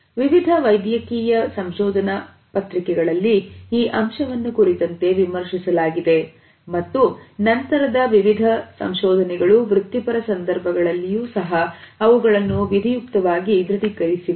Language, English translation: Kannada, In various medical journals this aspect has been commented on and later findings have corroborated them in professional situations also